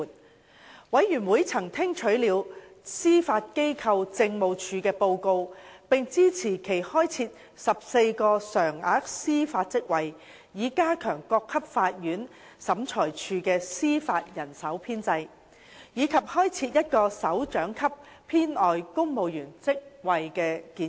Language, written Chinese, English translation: Cantonese, 事務委員會曾聽取了司法機構政務處的報告，並支持其開設14個常額司法職位以加強各級法院/審裁處的司法人手編制，以及開設1個首長級編外公務員職位的建議。, The Panel was briefed on the Judiciary Administrations report and supported the proposals to create 14 permanent judicial posts to enhance the establishment of judicial manpower at various levels of courtstribunal and one supernumerary civil service directorate post at Principal Executive Officer